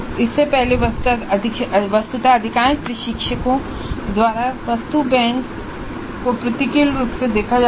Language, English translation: Hindi, Earlier actually item banks were viewed with disfavor by most of the instructors